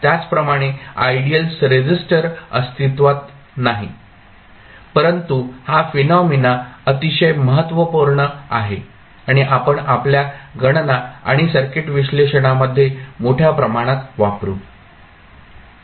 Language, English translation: Marathi, Similarly, ideal resistor does not exist but as these phenomena are very important and we used extensively in our calculations and circuit analysis